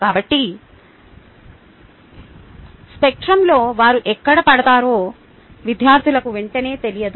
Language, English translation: Telugu, so the students are not immediately aware as to where they fall in the spectrum